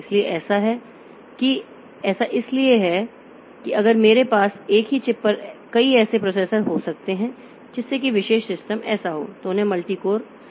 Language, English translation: Hindi, So, that is so that way if I can have multiple such processors built onto a single chip, so that particular system so they will be called multi core system